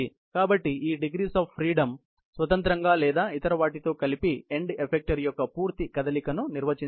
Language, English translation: Telugu, So, these degrees of freedom independently, or in combination with others, define the complete motion of the end effector